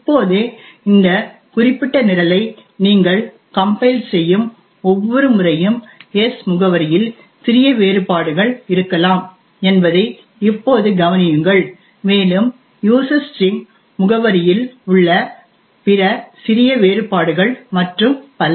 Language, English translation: Tamil, Now note that every time you compile this particular program there may be slight differences in the address of s and other minor differences in the address of user string and so on